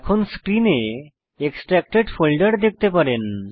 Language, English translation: Bengali, Now you can see the extracted folder on your screen